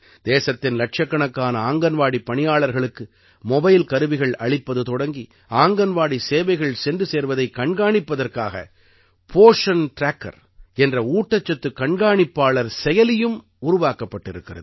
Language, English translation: Tamil, From providing mobile devices to millions of Anganwadi workers in the country, a Poshan Tracker has also been launched to monitor the accessibility of Anganwadi services